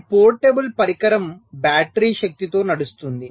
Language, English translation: Telugu, this portable devices all run on battery power